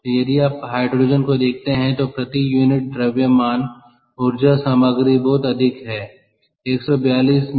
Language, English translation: Hindi, so if you look at hydrogen, the energy content per unit mass is very high, one forty two mega joules per kg